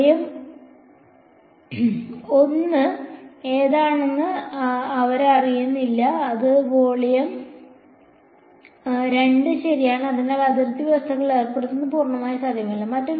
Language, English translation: Malayalam, They do not know which is volume 1 which is volume 2 right, so, that imposing boundary conditions has not is not possible purely with this